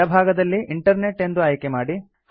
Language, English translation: Kannada, On the left pane, select Internet